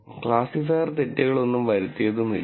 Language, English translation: Malayalam, There are no mistakes that have been made by the classifier